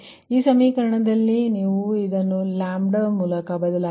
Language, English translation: Kannada, therefore, in this equation, therefore, in this equation, you this one, you replace it by lambda